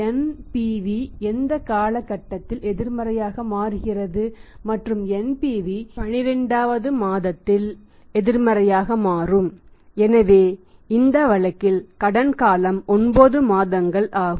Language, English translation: Tamil, NPV becomes negative at what period and NPV becomes negative at 12, so credit period is 9 months in this case it is 9 months